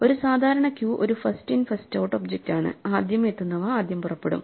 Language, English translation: Malayalam, So, we saw a normal queue is a first in first out object, the ones that arrive first leave first